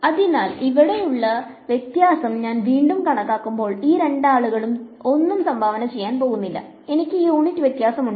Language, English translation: Malayalam, So, when I calculate the divergence over here again these two guys are going to contribute nothing and I am left with it has unit divergence